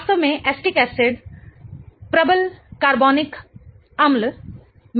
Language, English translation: Hindi, In fact, acetic acid is one of the stronger organic acids